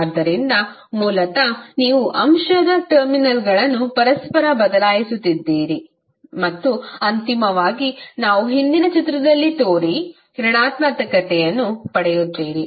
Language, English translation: Kannada, So, basically you are interchanging the terminals of the element and you eventually get the negative of what we have shown in the previous figure